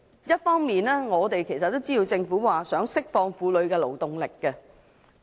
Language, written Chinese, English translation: Cantonese, 一方面，我們也知道，政府想釋放婦女的勞動力。, As we all know the Government seeks to release the female labour force